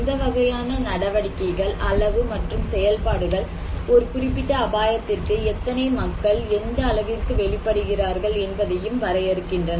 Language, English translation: Tamil, So what kind of activities, amount and type of activities are going so, these also defined that how many and what extent people are exposed to a particular hazard